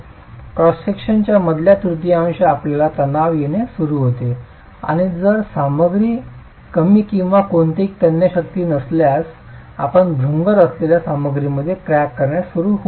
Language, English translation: Marathi, But the moment the resultant falls outside the middle third of the cross section, you start getting tension and if the material is assumed to have low or no tensile strength, you can start getting cracking in the, in a material which is brittle